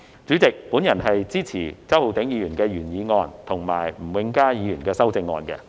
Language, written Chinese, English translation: Cantonese, 主席，我支持周浩鼎議員的原議案及吳永嘉議員的修正案。, President I support the original motion of Mr Holden CHOW and the amendment of Mr Jimmy NG